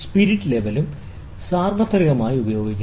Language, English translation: Malayalam, The spirit levels are also universally used